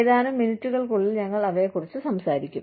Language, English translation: Malayalam, We will talk about them, in just a few minutes